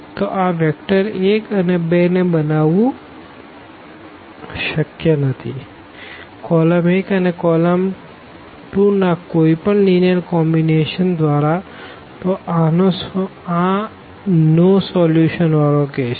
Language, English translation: Gujarati, So, it is not possible to produce this vector 1 and 2 by any linear combination of this column 1 and this column 2 and hence, this is the case of no solution